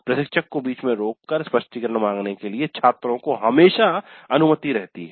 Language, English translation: Hindi, Students were always allowed to interrupt the instructor to seek clarification